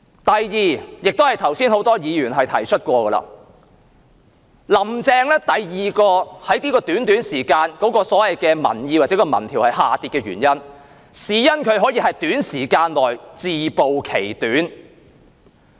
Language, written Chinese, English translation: Cantonese, 第二，也是剛才很多議員曾提及的，就是在這段短短的時間內，"林鄭"第二個民意或民調支持度下跌的原因，可能是因為她在短時間內自暴其短。, Second as many Members said just now another reason for the decline in the public opinion or support rating of Carrie LAM in public opinion polls within such a short period of time is perhaps her exposure of her own shortcomings within a short period of time